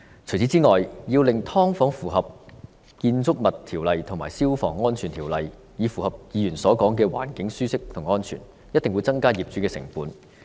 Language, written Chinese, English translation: Cantonese, 此外，要令"劏房"符合《建築物條例》和《消防安全條例》，以達至議員所說的環境舒適和安全，一定會增加業主的成本。, Only then can these illegal subdivided units posing potential dangers be eliminated . Besides to make subdivided units comply with the Buildings Ordinance and the Fire Safety Buildings Ordinance with a view to attaining a comfortable and safe environment as mentioned by Members owners cost will definitely be increased